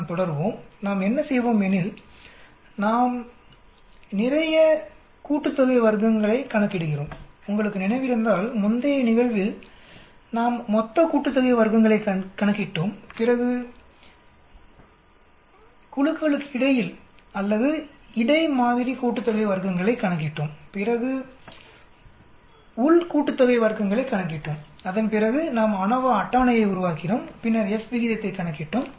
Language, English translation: Tamil, Let us carry on so what do we do, we calculate lot of sum of squares, if you remember in the previous case we calculated total sum of squares then we calculated the between groups or between sample sum of squares then we calculated within sum of squares and after that we made ANOVA table and then we calculated the F ratio